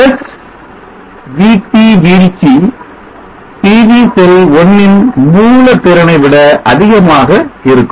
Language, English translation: Tamil, 7 volts + Vt drop will exceed the sourcing capability of the PV cell 1